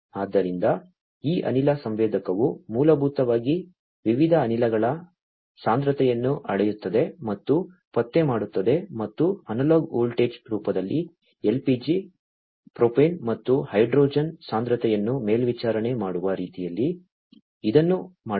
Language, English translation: Kannada, So, this gas sensor basically measures and detects the concentration of the different gases and this has been made in such a way to monitor the concentration of LPG, propane and hydrogen in the form of analog voltage, right